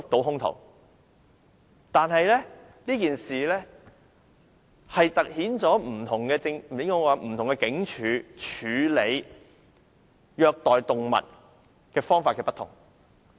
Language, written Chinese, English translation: Cantonese, 然而，這件事凸顯不同警署處理虐待動物案方法不同。, However the incident highlights the difference in ways cases of animal cruelty are handled among different police stations